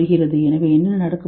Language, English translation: Tamil, So what is going to happen